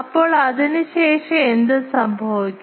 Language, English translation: Malayalam, Now, after that what happens